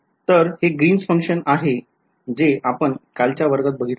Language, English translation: Marathi, So, this is the Green’s function that we had from yesterday’s class right